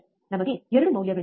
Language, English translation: Kannada, We have 2 values